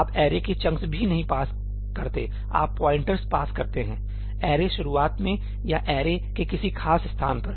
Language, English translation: Hindi, You do not even pass chunks of arrays, you pass the pointer to the starting of the array or a particular location of the array